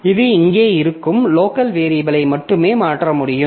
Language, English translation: Tamil, So it can modify only the local variables that are here